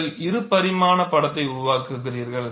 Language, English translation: Tamil, You make a two dimensional sketch